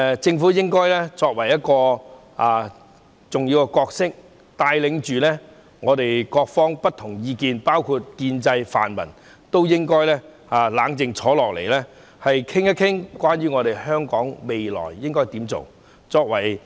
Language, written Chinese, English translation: Cantonese, 政府的重要角色，是帶領不同意見的各方，包括建制和泛民都應該冷靜坐下來，討論香港未來應該怎樣做。, The crucial role of the Government is to lead various parties with different views including both the pro - establishment and pro - democracy camps to discuss the future of Hong Kong calmly